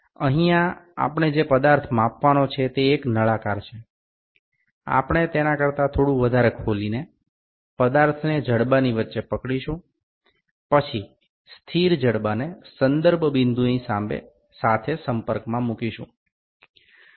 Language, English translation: Gujarati, Here the feature that is to be measured is the cylinder, we open it little more than that and hold the feature in the jaws, then, place the fixed jaw in contact with the reference point